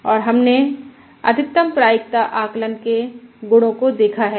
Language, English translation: Hindi, Let us look at the reliability of this Maximum Likelihood Estimate